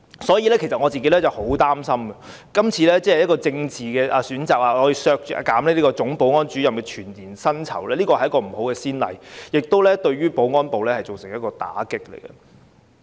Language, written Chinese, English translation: Cantonese, 所以，我其實很擔心，今次因為政治原因，而要削減總保安主任的全年薪酬預算開支並非一個好先例，而且亦會對保安部門造成打擊。, For that reason I am really concerned that deducting the annual estimated expenditure for emoluments of the Chief Security Officer will set a bad precedent . Besides it will cause negative impact on the security department